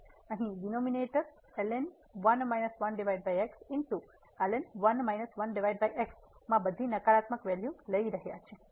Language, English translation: Gujarati, So, here in the denominator minus 1 over are taking all negative value